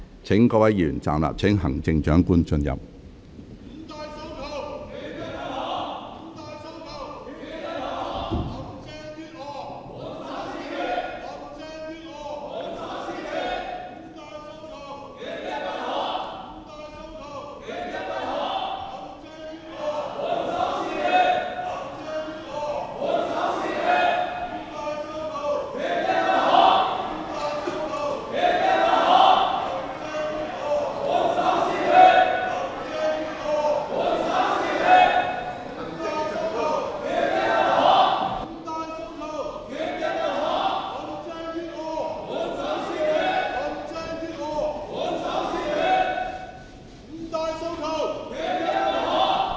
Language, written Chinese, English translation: Cantonese, 請各位議員站立，待行政長官進入會議廳。, Members will please remain standing while the Chief Executive enters the Chamber